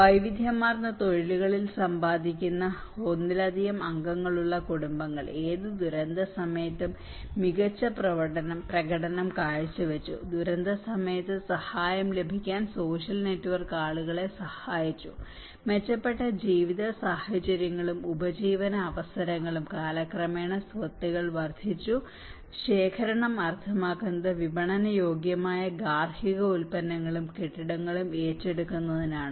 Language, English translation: Malayalam, Households having more than one earning member in diversified professions did better during any event of disaster, social network helped people to get assistance during disasters and improved living conditions and livelihood opportunities, assets accumulated over time increased resilience, accumulation meant acquiring saleable household products and building materials as well as investing in children's education